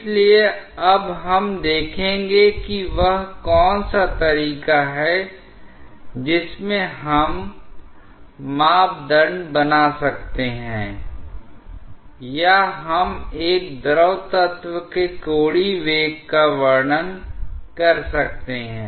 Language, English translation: Hindi, So, we will now see that what is the way in which we may parameterize or we may describe the angular velocity of a fluid element